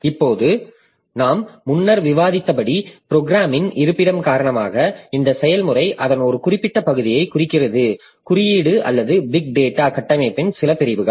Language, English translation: Tamil, Now, due to the locality of programs as we have discussed previously, so this process it refers to a certain part of its code or certain sections of the big data structure